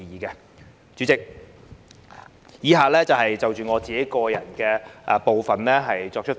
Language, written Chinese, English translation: Cantonese, 代理主席，以下部分我會就個人意見發言。, Deputy President I will talk about my personal views in my following speech